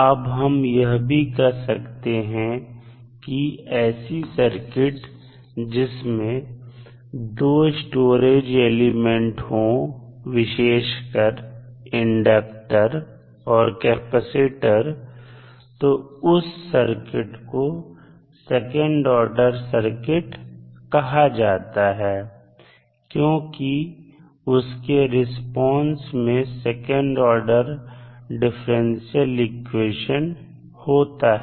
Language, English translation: Hindi, Now, we can also say that the circuit which contains 2 storage elements particularly inductors and capacitors then those are called as a second order circuit because their responses include differential equations that contain second order derivatives